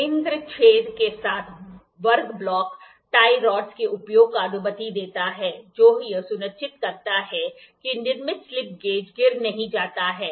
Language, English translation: Hindi, The square block with center hole permits the use of tie rods, which ensures the built up slip gauges do not fall apart